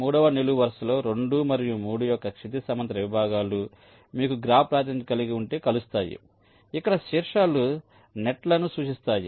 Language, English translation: Telugu, in the third column, the horizontal segments of two and three are intersecting, like if you have a graph representation where the vertices indicate the nets